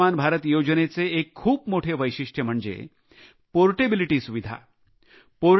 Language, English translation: Marathi, An important feature with the 'Ayushman Bharat' scheme is its portability facility